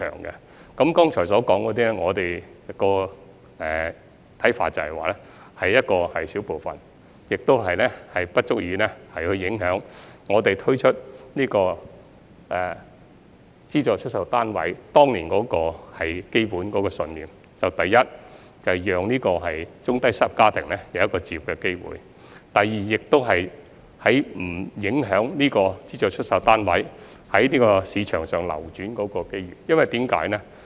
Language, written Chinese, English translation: Cantonese, 那麼，就剛才所說的情況，我們的看法是這只是少數情況，不足以影響我們當年推出資助出售單位的基本信念，就是第一，讓中低收入家庭有置業的機會；第二，不影響資助出售單位在市場上流轉的機會。, So regarding the situation just mentioned our view is that it only represents the minority cases and does not affect our fundamental belief behind the introduction of SSFs which is first of all to give low - to middle - income families the opportunity to buy their own home; and second not to affect the opportunities for the circulation of SSFs in the market